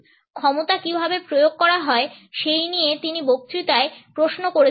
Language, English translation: Bengali, In this lecture he had questioned how power is exercised